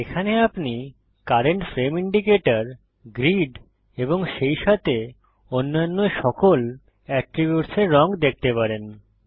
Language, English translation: Bengali, Here you can see the color of the current frame indicator, grid and all other attributes as well